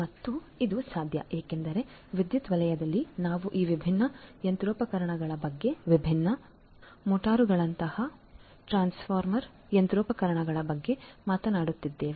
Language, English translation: Kannada, And this would be possible because essentially in the power sector we are talking about these different machinery machineries like transformer machineries like different motors, etcetera right